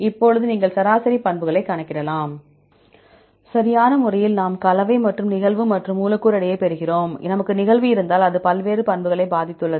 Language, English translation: Tamil, Now, you can calculate the average properties, right just we get the composition and occurrence and the molecular weight, if we have the occurrence it has influenced various properties